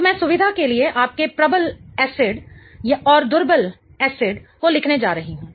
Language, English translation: Hindi, Because I am going to write here strong acid and weak acid for convenience